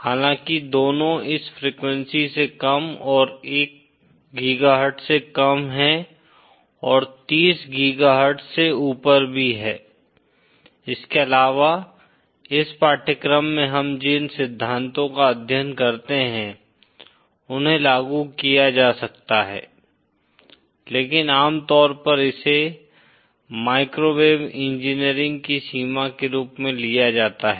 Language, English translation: Hindi, Although, both lower than this frequency and above lower than 1 GHz and above 30 GHz also, the principles that we study in this course can be applied but usually this is taken as the boundary of the microwave engineering